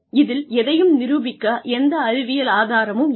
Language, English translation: Tamil, There is no scientific evidence to prove any of this